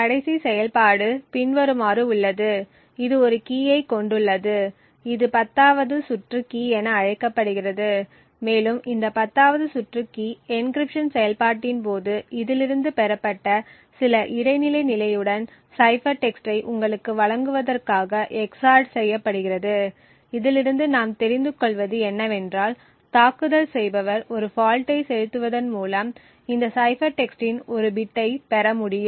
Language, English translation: Tamil, The last operation is as follows it has a key this is known as the 10th round key and this 10th round key is xored with some intermediate state obtained from this during the encryption process to give you the cipher text, so thus what we will see in this attack is the attacker would be able to get one bit of this cipher text by injecting a fault